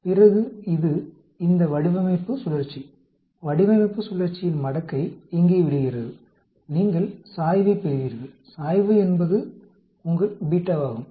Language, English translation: Tamil, Then this the design cycle, logarithm of design cycle data falls here, you get the slope, slope is your beta